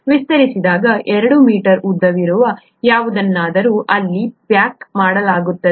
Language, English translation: Kannada, Whatever is 2 metres long when stretched out, gets packaged there